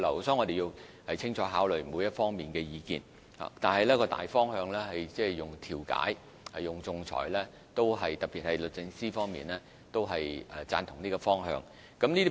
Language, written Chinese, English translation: Cantonese, 所以，我們必須清楚考慮各方意見，但大方向是運用調解和仲裁，而這個方向也獲得律政司贊同。, Therefore we have to carefully consider the views from various sides but the use of mediation and arbitration remains our general direction . This direction is also welcome by the Department of Justice